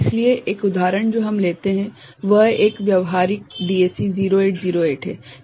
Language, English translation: Hindi, So, one example we take up is a practical DAC 0808